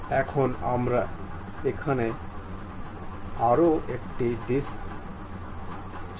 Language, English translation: Bengali, Now, we would like to have one more disc here